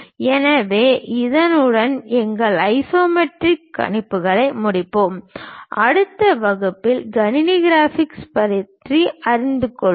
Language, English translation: Tamil, So, with that we will conclude our isometric projections and in the next class onwards we will learn about computer graphics